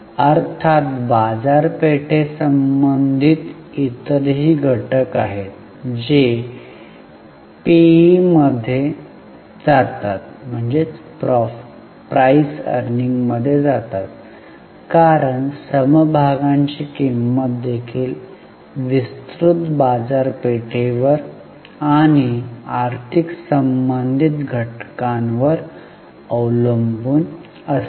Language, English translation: Marathi, Of course there are other market related factors also which go into the P because the price of the share also depends on vast market and economic related factors